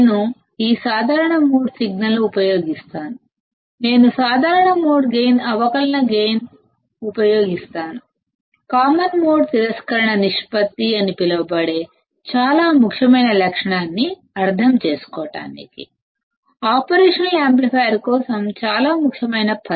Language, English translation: Telugu, So, in this particular case; I will use this common mode signal, I will use the common mode gain, differential gain; to understand a very important property which is called thecommon mode rejection ratio; a very important term for an operational amplifier